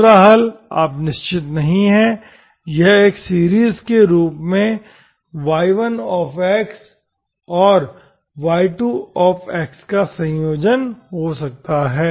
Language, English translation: Hindi, 2nd solution, you are not sure, it may be the combination of y1 plus y2 as a series, okay